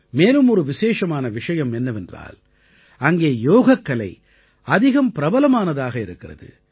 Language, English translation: Tamil, Another significant aspect is that Yoga is extremely popular there